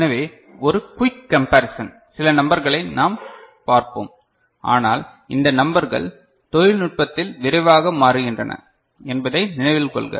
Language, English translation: Tamil, So, a quick comparison I said that, some numbers we shall see, but remember this numbers are changing with you know with the technology landscape very quickly